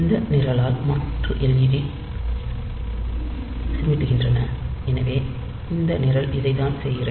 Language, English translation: Tamil, So, you want to blink the alternate led s, so that is why that is what this program is doing